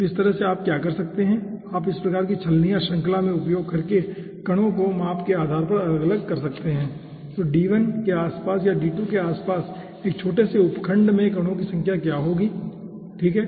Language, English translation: Hindi, okay, so in this way, what you can do, you can sieve out or separate out a size of particles by doing this type of sieving in series, that what will be the number of particles in a small subsection around d1 or around d2, something like that